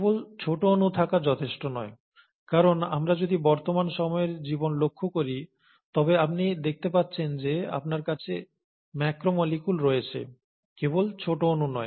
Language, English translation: Bengali, But then, just having small molecules is not enough, because if we were to look at the present day life, you find that you have macromolecules, and not just smaller molecules